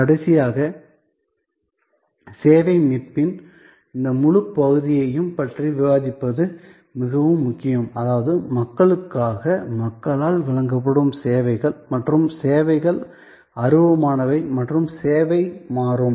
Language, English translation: Tamil, And lastly, it is very important to discuss about this whole area of service recovery, whether that means, a services provided by people, for people and service is intangible and service is dynamic